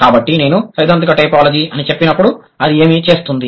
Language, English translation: Telugu, So when I say theoretical typology, what does it do